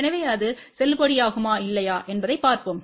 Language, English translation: Tamil, So, let us see whether that is valid or not